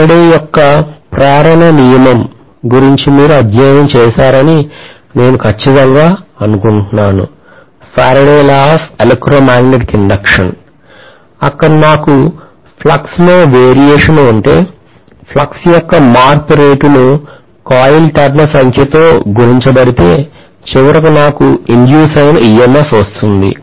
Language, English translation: Telugu, I am sure you guys have studied about Faraday’s law of induction where if I have a variation in the flux, the rate of change of flux multiplied by the number of turns actually gives me ultimately whatever is the EMF induced